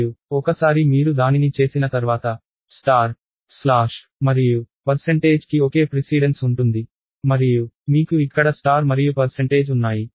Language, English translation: Telugu, And once you have it, star slash and percentage have the same precedence and you have star and percentage here